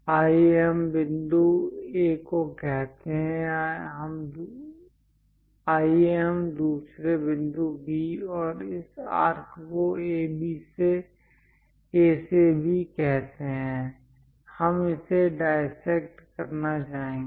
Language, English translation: Hindi, Let us call some point A, let us call another point B and this arc from A to B; we would like to dissect it